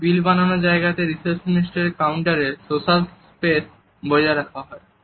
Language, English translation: Bengali, For example, at the billing desks, at the receptionist counter, it is the social space which is maintained